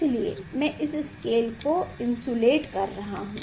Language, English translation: Hindi, I am using this insulating the scale